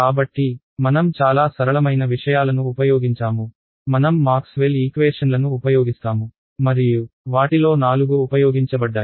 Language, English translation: Telugu, So, we used very simple things, we use Maxwell’s equations and all four of them were used right